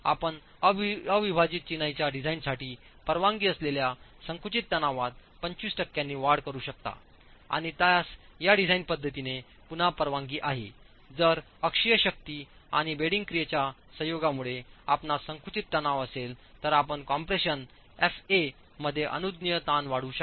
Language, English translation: Marathi, You could increase the permissible compressive stress for unreinforced masonry design by 25 percent and that is again permitted in this design where if you have compressive stress due to a combination of axial force and bending action then you can increase the permissible stress in compression F